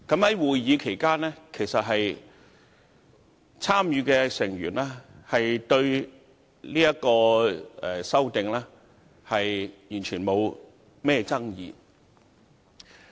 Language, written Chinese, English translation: Cantonese, 在會議期間，參與的成員對《2017年能源效益條例令》完全沒有任何爭議。, During the meeting there was entirely no dispute from members of the Subcommittee on the Energy Efficiency Ordinance Order 2017